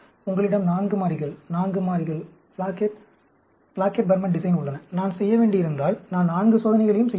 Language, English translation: Tamil, You have 4 variables, 4 variables, Plackett Burman design, if I have to do, I can do a 4 experiments also